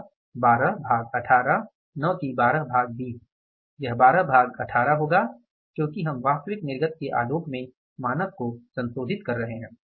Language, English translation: Hindi, So, 12 by 18 is not 12 by 20, it should be 12 by 18 because we are revising the standard in the light of the actual output